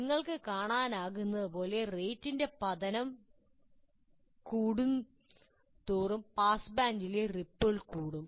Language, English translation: Malayalam, As you can see, the faster it falls, I have a higher ripple in the pass bank